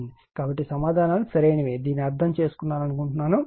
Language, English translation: Telugu, So, answers are correct , some of you have understood this right